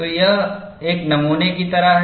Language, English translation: Hindi, So, this is like a sample